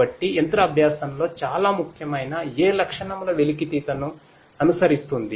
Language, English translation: Telugu, So, in machine learning feature extraction is very important